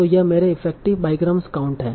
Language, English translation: Hindi, So here, so these are my effective bygram counts